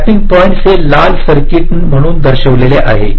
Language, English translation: Marathi, so the tapping points are shown as these red circuits